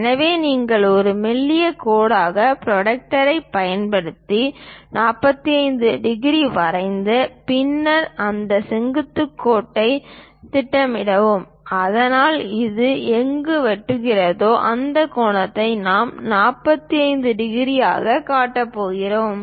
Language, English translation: Tamil, So, you draw a 45 degrees using protractor as a thin line, then project this vertical line so, wherever it intersects, that angle we are going to show as 45 degrees